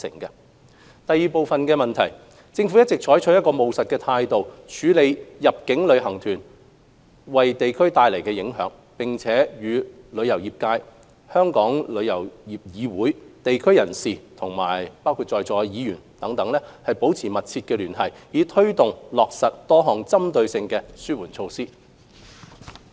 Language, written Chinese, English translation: Cantonese, 二政府一直採取務實的態度，處理入境旅行團為地區帶來的影響，並與旅遊業界、香港旅遊業議會、地區人士和議員等保持緊密聯繫，以推動落實多項針對性的紓緩措施。, 2 The Government has been pragmatic in tackling problems brought about by inbound tour groups to local communities and maintaining close liaison with the travel trade Travel Industry Council of Hong Kong TIC district personalities and Legislative Council Members to implement various targeted mitigation measures